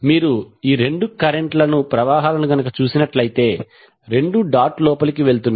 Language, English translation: Telugu, So if you see these two currents, both are going inside the dot